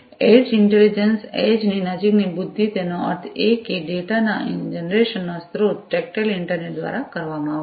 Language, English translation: Gujarati, So, edge intelligence, intelligence close to the edge; that means, the source of generation of the data are going to be performed with tactile internet